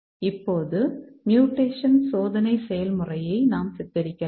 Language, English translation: Tamil, Now let's look at mutation testing